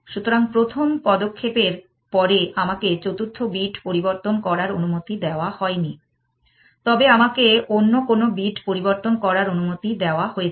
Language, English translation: Bengali, So, after the first move I am allowed not allowed to change the fourth bit, but I am allowed to change any other bit